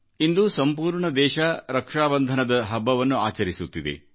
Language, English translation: Kannada, Today, the entire country is celebrating Rakshabandhan